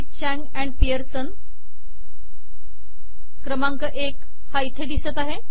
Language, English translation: Marathi, Chang and Pearson, number 1, it appears here